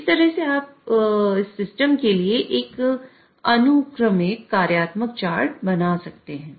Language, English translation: Hindi, So that is how you can draw a sequential functional chart for such kind of a system